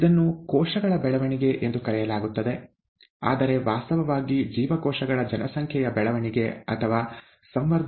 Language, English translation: Kannada, It is referred to as cell growth, but actually means the growth of a population of cells or the growth of culture